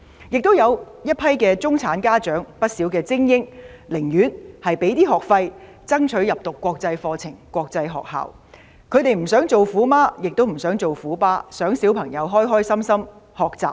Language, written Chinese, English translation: Cantonese, 亦都有一群中產家長、寧願支付多些學費，讓子女入讀國際學校，因為他們不想做"虎媽"或"虎爸"，只想子女開心學習。, Another group of middle - class parents who do not want to become tiger moms or tiger dads would rather pay higher school fees and send their children to international schools . They simply want their children to learn happily